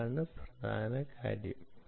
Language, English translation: Malayalam, that is the key